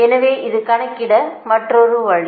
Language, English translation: Tamil, so this is another way of calculating